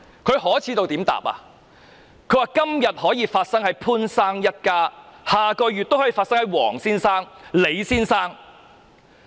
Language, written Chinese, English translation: Cantonese, 她說："今天可以發生在潘先生一家，下個月也可以發生在黃先生、李先生。, She said What happened to Mr POONs family today may happen to Mr WONG and Mr LEE the next month